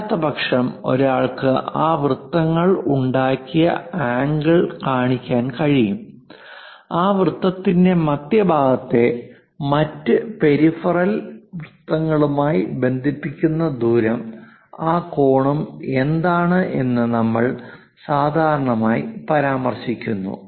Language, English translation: Malayalam, Otherwise, one can really show angle made by that circle, the radius connecting center of that circle to other peripheral circle, what is that angle also we usually mention